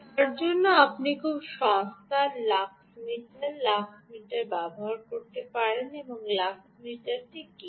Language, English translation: Bengali, for that you use a very cheap lux meter lux meter